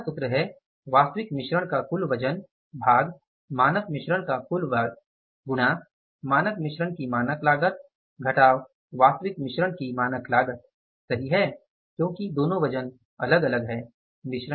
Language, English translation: Hindi, The third formula is total weight of actual mix divided by the total weight of standard mix into standard cost of standard mix minus standard cost of actual mix right because two weights are different